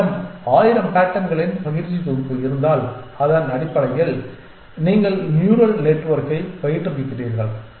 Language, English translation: Tamil, And if you have a training set of 1000 patterns given to you based on which you are training the neural network